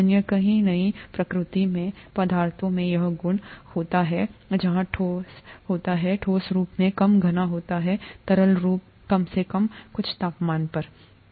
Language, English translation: Hindi, Not many other substances in nature have this property where the solid is, solid form is less dense than the liquid form, at least at certain temperatures